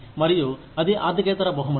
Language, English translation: Telugu, And, that is a non financial reward